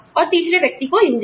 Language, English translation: Hindi, And, the engine to third person